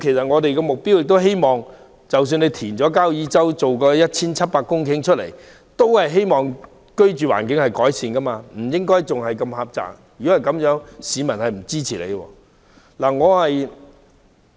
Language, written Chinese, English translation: Cantonese, 我們希望交椅洲填海所得 1,700 公頃土地，能令居住環境有所改善，改變細小的居住面積，否則市民不會支持。, We wish that the 1 700 hectares of reclaimed land near Kau Yi Chau will improve our living environment and allow us to have a bigger living space . Otherwise the proposal will not be supported by members of the public